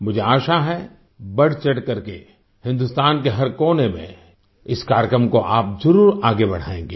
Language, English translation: Hindi, I hope you will promote this programme in every corner of India with wholehearted enthusiasm